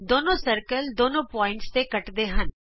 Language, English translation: Punjabi, The two circles intersect at two points